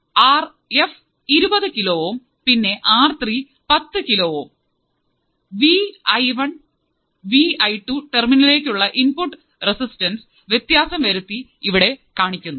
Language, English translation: Malayalam, So, as R f equals to 20 kilo ohm and R 3 equals to 10 kilo ohm, input resistance to terminals V I 1 and V I 2 varies as shown here